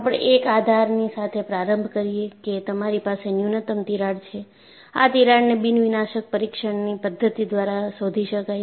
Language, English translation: Gujarati, And we start with a premise that, you will have a minimum crack that would be detectable by your nondestructive testing methodology